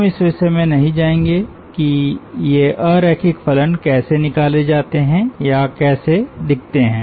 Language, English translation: Hindi, we will ah not go into the details of how this nonlinear functions are derived or how these forms look like